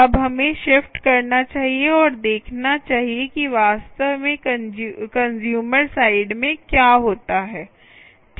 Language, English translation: Hindi, now lets shift and see what actually happens at the consumer side